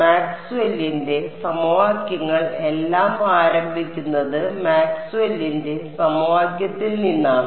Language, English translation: Malayalam, Maxwell's equations everything starts from Maxwell’s equation right